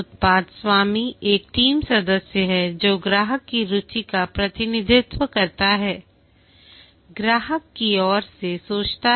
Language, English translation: Hindi, The product owner is a team member who represents the customer's interest